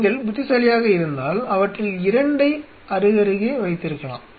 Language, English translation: Tamil, What if you are clever you could have 2 of them side by side